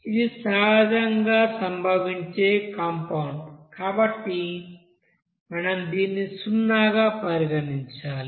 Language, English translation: Telugu, It is not since it is a naturally occurring compound, so you have to consider it as zero